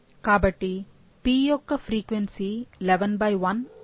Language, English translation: Telugu, So, the frequency of p would be 11 by 1 (